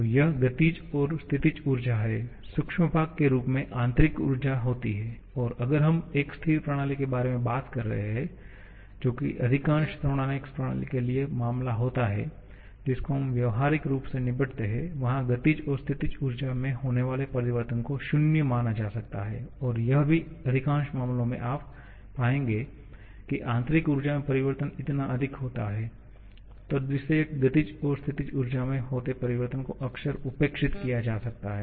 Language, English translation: Hindi, So, this is kinetic and this is potential+the microscopic part in the form of internal energy and if we are talking about a stationary system which is the case for most of the thermodynamic system that we practically deal with, the changes in kinetic and potential energies can be considered to be 0 and also in most of the cases you will find that the change in internal energy is so much that the corresponding change in kinetic and potential energies can often be neglected and in that situation